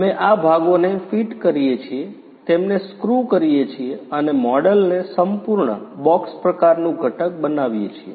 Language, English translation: Gujarati, We fit these parts, screw them and make the model complete, box type component